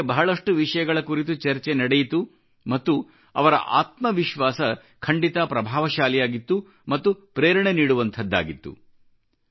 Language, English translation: Kannada, Many topics were discussed in their company and their confidence was really striking it was inspiring